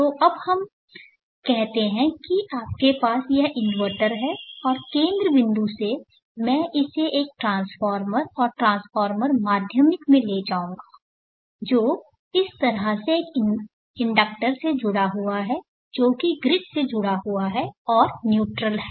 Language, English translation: Hindi, So now let us say that you have this inverter and from the centre point I will bring it out to a transformer and the transformer secondary connected to an inductor which is connected to the grid in this fashion line and in order